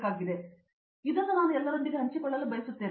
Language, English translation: Kannada, So, something I want to share it with all